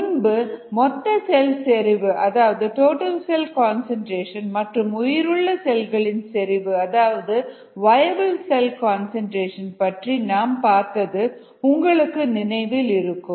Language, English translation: Tamil, remember we talked about total cell concentration and viable cell concentration